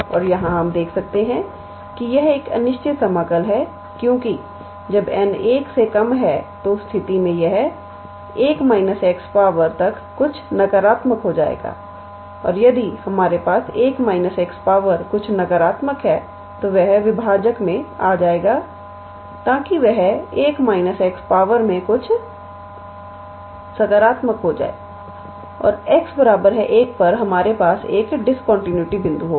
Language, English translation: Hindi, And, here we can see that this is an improper integral because when n is less than 1, then in that case this one will become 1 minus x to the power something negative and if one if we have 1 minus x to the power something negative then that will come in the denominator so, that it will become 1 minus x to the power something positive and at x equals to 1, we will have a point of discontinuity